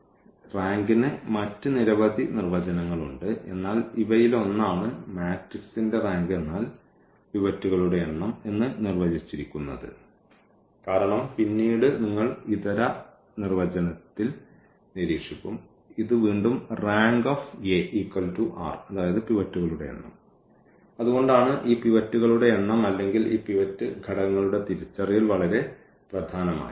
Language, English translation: Malayalam, There are many other definitions for this rank, but this is one of them that this rank of a matrix is defined as the number of the pivots because later on you will observe in an alternate definition that will again lead to this that rank A is equal to precisely this number of pinots and that is the reason this number of pivots or the identification of these pivots a pivot elements are very important